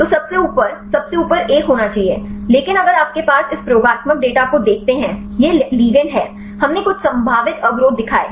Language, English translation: Hindi, So, the top one should be at the top most one, but if you look into this experimental data; these are the ligands, we showed some potential inhibition